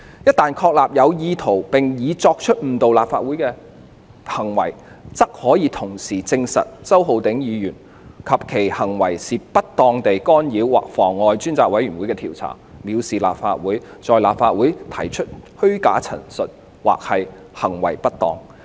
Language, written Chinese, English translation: Cantonese, 一旦確立有意圖並已作出誤導立法會的行為，則可以同時證實周議員及其行為是不當地干擾及妨礙專責委員會的調查、藐視立法會、在立法會提出虛假陳述及/或行為不當。, Once it is established that Mr CHOW has committed certain acts with the intention of misleading the House we can then establish the fact that with such acts committed Mr CHOW has improperly interfered with and obstructed the Select Committees inquiry acted in contempt of LegCo made false representations andor committed misbehaviour in LegCo